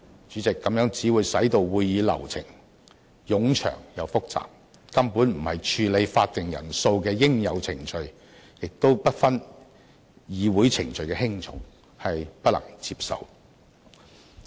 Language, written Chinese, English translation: Cantonese, 主席，這樣只會使會議流程冗長又複雜，根本不是處理會議法定人數的應有程序，亦不分議會程序的輕重，我並不能接受。, President the amendment will make the proceedings long and complex . It is not a proper way to deal with the quorum of a meeting and it does not differentiate the degree of importance of different procedures in meetings . Thus I cannot accept it